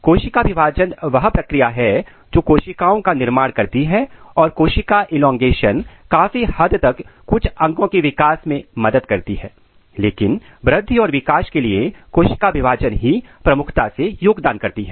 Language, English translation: Hindi, So, cell division is the process which generate the cell and cell elongation to certain extent it helps in growth of certain organs, but the major contribution for the growth and development is cell division